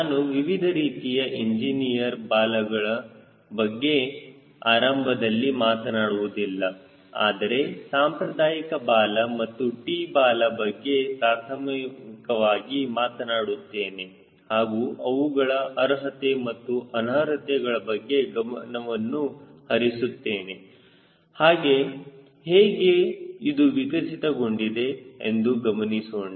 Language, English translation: Kannada, to start with, i will not talk about various types of engineers tails, but i will primarily talk about conventional tail and a t tail and try to highlight what are the merits and demerits and a why it has evolve like that